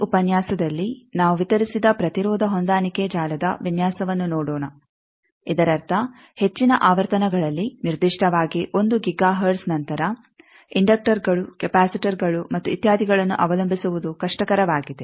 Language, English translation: Kannada, In this lecture, we will see the distributed impedance matching network design that means, as I said that as we go higher in frequency particularly after 1 giga hertz, it is difficult to rely on inductors, capacitors, and etcetera